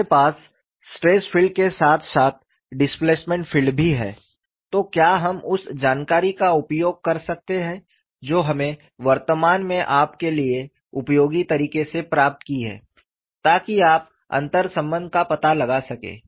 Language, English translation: Hindi, Since we have the stress field as far as the displacement field, can we use the information what we have currently derived in a useful manner for you to find out the interrelation ship